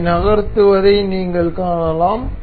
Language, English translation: Tamil, You can see this moving